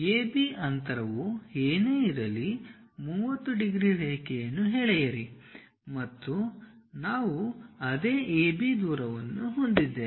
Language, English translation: Kannada, Draw a 30 degrees line whatever the AB distance we have the same AB distance we are going to have it